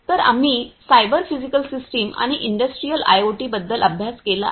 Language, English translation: Marathi, So, we have studied about cyber physical systems and Industrial IoT